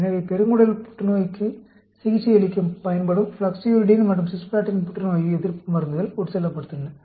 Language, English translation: Tamil, So, there was an infusion of floxuridine and cisplatin, anti cancer drugs for the treatment of colorectal cancer